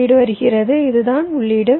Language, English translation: Tamil, the input is coming, this my input